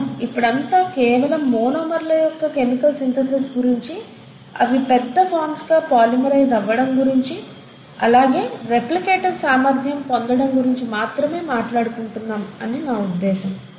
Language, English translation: Telugu, I mean all this while we are only talking about chemical synthesis of monomers, their polymerization to larger forms, hopefully acquisition of replicative ability